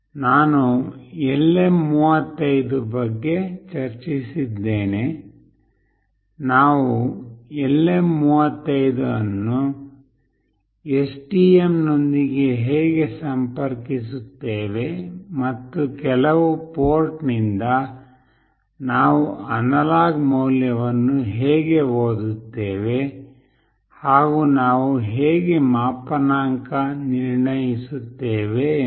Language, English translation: Kannada, I have discussed about LM35, how do we connect LM35 with STM and how do we read an analog value from certain port and also how do we calibrate